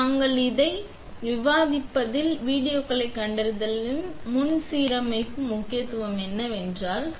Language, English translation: Tamil, So, since you have seen both the videos what we will be discussing in the next particular module is what is the importance of front to back alignment